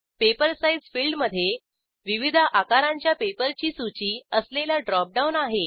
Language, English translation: Marathi, Paper size field has a drop down list with different paper sizes